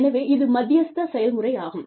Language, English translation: Tamil, So, this is the mediation process